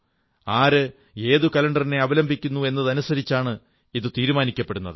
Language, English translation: Malayalam, It is also dependant on the fact which calendar you follow